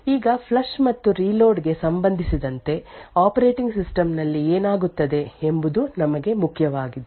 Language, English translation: Kannada, Now, important for us with respect to the flush and reload is what happens in the operating system